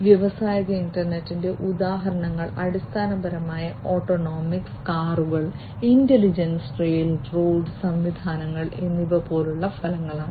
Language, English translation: Malayalam, Examples of industrial internet are basically outcomes such as having autonomous cars, intelligent railroad systems and so on